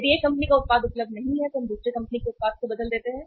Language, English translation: Hindi, If the one company’s product is not available we replace with the other company’s product